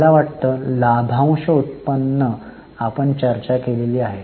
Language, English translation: Marathi, I think dividend yield we have not discussed